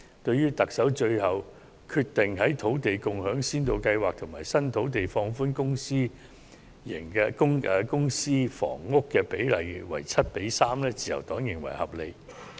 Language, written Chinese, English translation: Cantonese, 對於特首最後決定就土地共享先導計劃及新發展土地，放寬公私營房屋比例至 7：3， 自由黨認為合理。, We therefore consider it reasonable for the Chief Executive to finally decide to relax the said ratio to 7col3 for the Land Sharing Pilot Scheme and newly developed sites